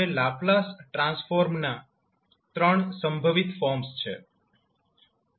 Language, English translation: Gujarati, Now, there are three possible forms of the trans, the Laplace transform